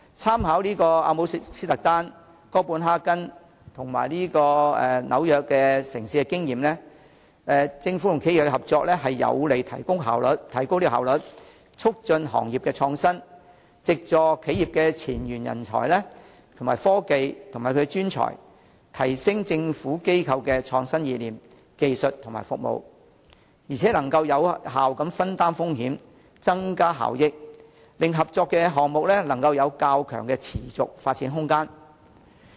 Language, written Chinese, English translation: Cantonese, 參考阿姆斯特丹、哥本哈根和紐約等城市的經驗，政府和企業合作將有利提高效率，促進行業創新，藉助企業的前沿人才、科技和專長，提升政府機構的創新意念、技術和服務，並能有效分擔風險，增加效益，令合作項目能有較強的持續發展空間。, As reflected from the experience of such cities as Amsterdam Copenhagen and New York government - business cooperation will be conducive to enhancing efficiency promoting industry innovation enhancing innovative ideas technology and services of government bodies by utilizing frontline talent technology and expertise of businesses as well as effectively sharing risks and enhancing cost - effectiveness thus enabling cooperation projects to have considerable room for sustainable development